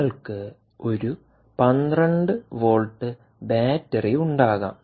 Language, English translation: Malayalam, you have a twelve volt battery source